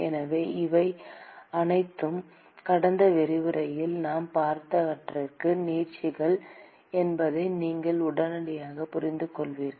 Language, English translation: Tamil, So, as you would immediately intuit that these are just extensions of what we saw in the last lecture